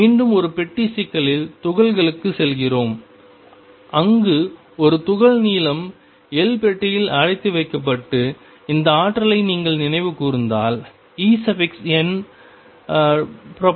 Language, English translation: Tamil, Again we go back to particle in a box problem, where a particle was confined in a box of length L and if you recall this energy en was proportional to 1 over L square